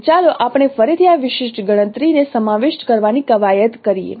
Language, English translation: Gujarati, So let us again work out an exercise for involving this particular computation